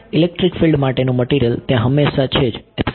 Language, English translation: Gujarati, The material the electric field is always there